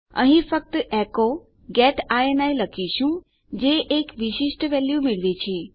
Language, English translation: Gujarati, Here we just say echo get ini which gets a specific value